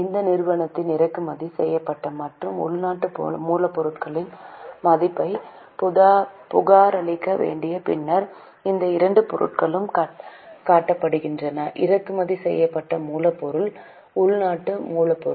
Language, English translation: Tamil, After this company is required to report the value of imported and indigenous raw material so these two items are shown imported raw material indigenous raw material then So, these two items are shown